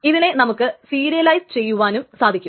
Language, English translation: Malayalam, So this can be serialized